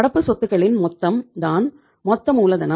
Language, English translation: Tamil, Total of the current assets is called as gross working capital